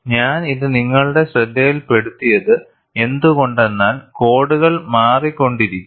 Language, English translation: Malayalam, Why I brought this to your attention is, codes keep changing